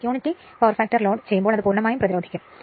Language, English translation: Malayalam, When load unity power factor, it is purely resistive right